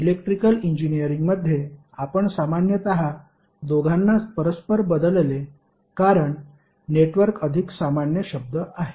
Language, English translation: Marathi, So in Electrical Engineering we generally used both of them interchangeably, because network is more generic terms